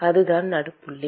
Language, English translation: Tamil, That is the midpoint